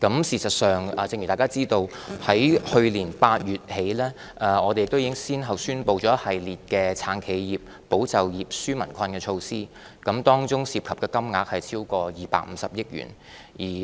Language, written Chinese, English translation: Cantonese, 事實上，正如大家知道，自去年8月起，我們已先後宣布了一系列"撐企業、保就業、紓民困"的措施，當中涉及的金額超過250億元。, In fact as we all know the Government has since August last year announced a series of measures to support enterprises safeguard jobs and relieve peoples burden with total financial implications exceeding 25 billion